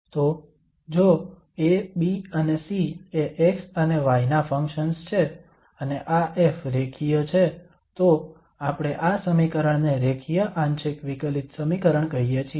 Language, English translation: Gujarati, So if A, B and C are the functions of x and y and this F is linear then we call this equation a linear partial differential equation